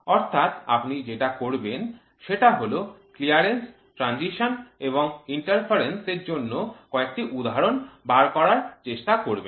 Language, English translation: Bengali, So, then what you will do is you will try to figure out some example for Clearance, Interference and Transition